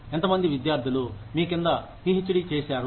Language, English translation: Telugu, How many students, graduate with a PhD, under you